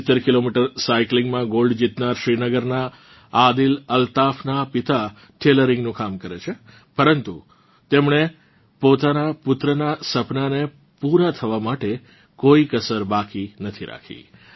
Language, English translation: Gujarati, Father of Adil Altaf from Srinagar, who won the gold in 70 km cycling, does tailoring work, but, has left no stone unturned to fulfill his son's dreams